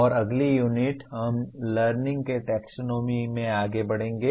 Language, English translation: Hindi, And the next unit we will move on to the Taxonomy of Learning